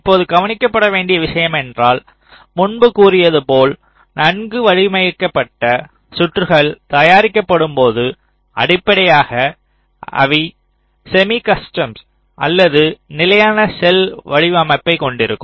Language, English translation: Tamil, now, one thing you observe is that today, as i had said earlier, most of the well assigned circuits that are that are manufactured, they are based on the semi custom or the standard cell designed style